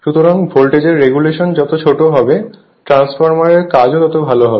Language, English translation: Bengali, So, smaller is the voltage regulation better is the operation of the transformer right